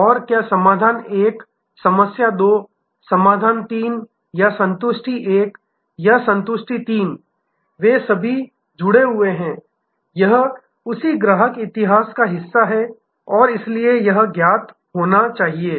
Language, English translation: Hindi, And whether the problem 1, problem 2, problem 3 or satisfaction 1 or satisfaction 3, they are all connected it is part of the same customer history and therefore, it must be known